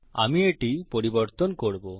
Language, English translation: Bengali, Ill change this